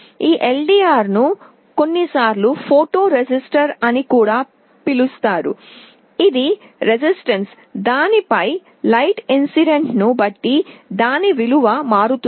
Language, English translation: Telugu, This LDR is sometimes also called a photo resistor; it is a resistance whose value changes depending on the light incident on it